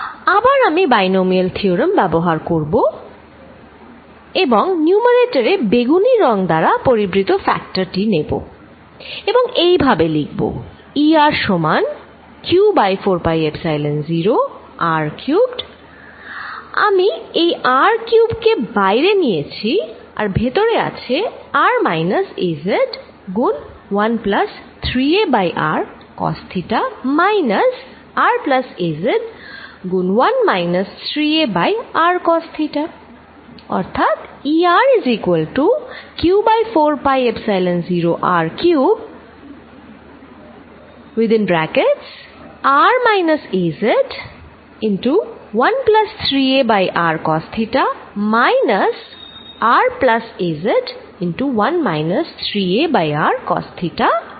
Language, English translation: Bengali, Again I am going to use Binomial theorem and take the factors encircled in purple to the numerator and write this whole thing as E r equals q over 4 pi Epsilon 0 r cubed I am going to take out r cubed and inside, I am left with r minus ‘az’ times 1 plus 3a over r cosine of theta minus r plus a z times 1 minus 3 a over r cosine of theta